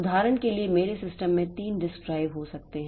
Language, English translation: Hindi, For example, I may have say three disk drives in my system